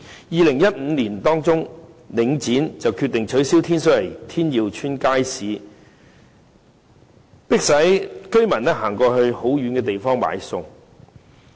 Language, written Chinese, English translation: Cantonese, 2015年年中，領展決定關閉天水圍天耀邨街市，迫使居民要走到很遠的地方買餸。, In the middle of 2015 Link REIT decided to close Tin Yiu Market in Tin Shui Wai and residents have been forced to go to faraway places to buy foodstuffs